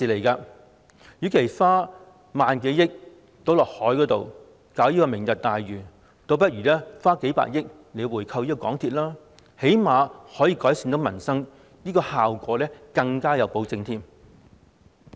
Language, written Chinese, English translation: Cantonese, 與其將萬多億元倒落海建設"明日大嶼"，倒不如花數百億元回購港鐵公司，最低限度可以改善民生，而且效果更有保證。, Instead of throwing down the drain more than a thousand billion dollars for the development of Lantau Tomorrow it would be better to spend several tens of billion dollars on buying back the shares of MTRCL for at least this can improve the peoples livelihood and there can be better assurance of positive results